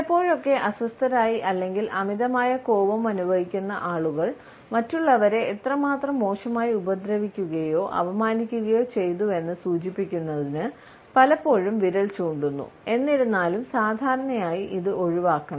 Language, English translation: Malayalam, Sometimes we feel that people who have been deeply upset or feel excessive anger often point towards others to indicate how badly they have been hurt or insulted; however, normally it should be avoided